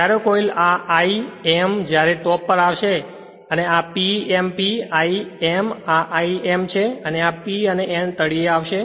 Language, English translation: Gujarati, When coil this l, m when will come on top, when will come, when will come on top and this P m your p, l, m this is l, m and when this p, n will come to the bottom